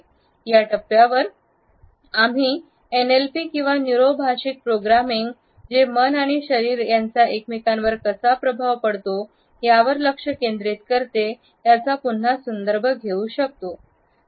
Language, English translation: Marathi, At this point, we can also refer to NLP or the Neuro Linguistic Programming again, which focuses on how mind and body influence each other